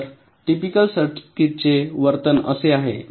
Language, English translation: Marathi, so the behavior of typical circuits is like this